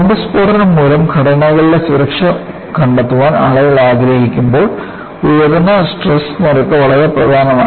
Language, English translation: Malayalam, High strain rate is becoming very important, when people want to find out safety of structures due to bomb blast